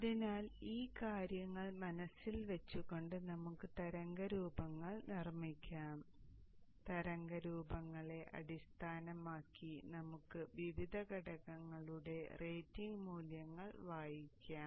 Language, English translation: Malayalam, So keeping these things in mind, let us construct the waveforms and based on the waveforms we can just read off the rating values of the various components